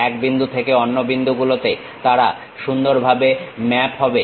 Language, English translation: Bengali, They will be nicely mapped from one point to other point